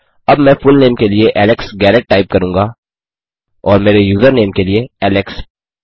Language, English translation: Hindi, Now what I will type is my fullname as Alex Garrett and my username as alex